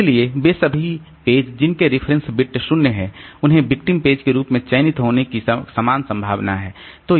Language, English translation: Hindi, All the pages whose reference bit is zero, so they have got equal chance of getting replaced, getting selected as victim